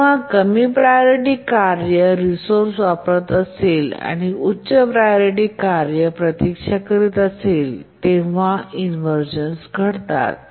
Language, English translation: Marathi, The inversion occurs when a lower priority task is using resource and high priority task is waiting